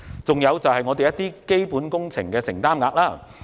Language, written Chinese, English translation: Cantonese, 此外，還有基本工程的承擔額。, Moreover there is the commitment of capital works projects